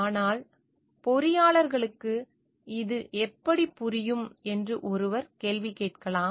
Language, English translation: Tamil, But one may ask a question how is this making a sense for engineers